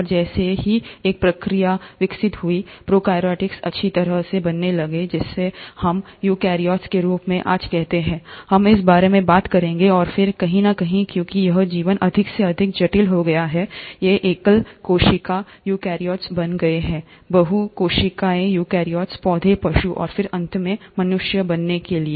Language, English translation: Hindi, And as a process evolved, the prokaryotes ended up becoming well formed, which is what we call today as eukaryotes, we’ll talk about this, and then somewhere, as it's life became more and more complex, these single cell eukaryotes went on to become multi cellular eukaryotes, plants, animals, and then finally, the humans